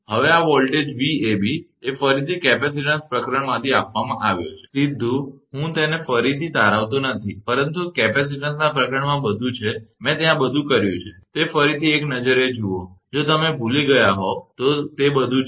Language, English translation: Gujarati, Now, this voltage Vab is given by again from the capacitance chapter, directly I am not deriving it again, but everything is there in that capacitance chapter, all I have done there just have a look again, that is all if you forgotten